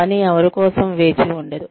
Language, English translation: Telugu, Work waits for nobody